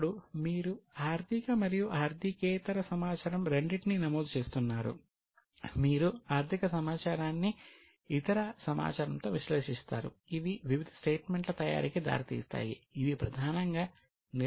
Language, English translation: Telugu, Now you are recording both financial as well as other data, you analyze the financial data with other data that leads to preparation of various statements which are mainly used for managerial decisions